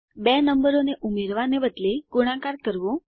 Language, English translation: Gujarati, Multiplying two numbers instead of adding